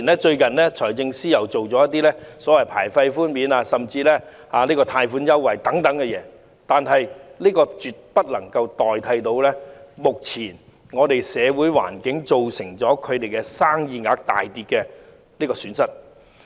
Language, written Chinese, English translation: Cantonese, 即使財政司司長最近推出牌費豁免及貸款優惠等措施，亦絕對無法彌補目前社會環境造成生意額大跌的損失。, Measures such as the waiver of licence fees and preferential loans recently introduced by the Financial Secretary will absolutely fail to make up for the losses incurred by the drastic reduction in business turnovers as a result of the current social conditions